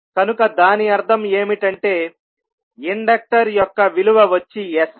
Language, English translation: Telugu, So, it means that this value of inductor will be sl